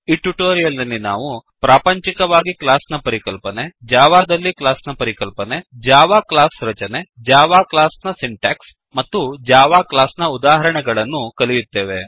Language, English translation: Kannada, In this tutorial, we will learn about: * A class in real world * A class in Java * Structure of a Java class * Syntax for a Java class * And a simple example of Java class